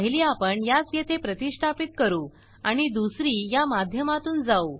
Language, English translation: Marathi, One is too install it here and the other one is to go through this